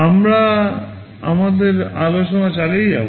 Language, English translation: Bengali, We shall be continuing with our discussion